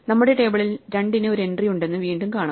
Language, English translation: Malayalam, Once again we find that there is an entry for 2 in our table